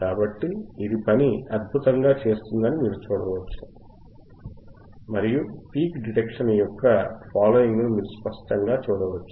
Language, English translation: Telugu, So, you can see it is working excellently and you can clearly see the follow of the peak detection